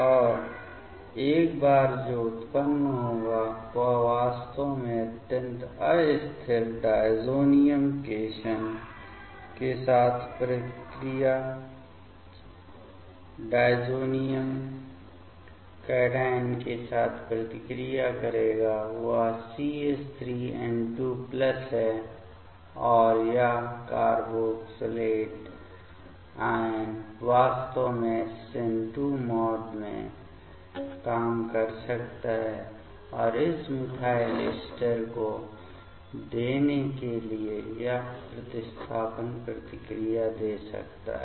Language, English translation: Hindi, And once that will generate it will actually react with the extremely unstable diazonium cation; that is the CH3N2 plus and this carboxylate anion actually can work in SN2 mode and give this substitution reactions to give this methyl ester ok